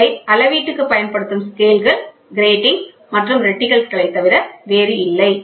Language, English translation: Tamil, So, these are nothing but scales gratings and reticles which are used for measurement